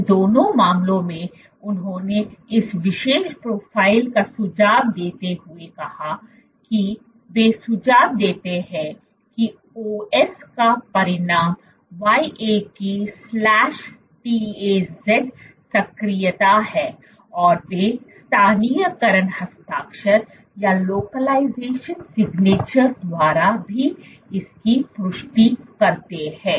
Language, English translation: Hindi, In both these cases they observed this particular profile suggesting that, they suggest that OS results in YAP/TAZ activation and they also confirm this by the localization signature